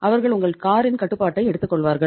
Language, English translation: Tamil, They will take the control of your car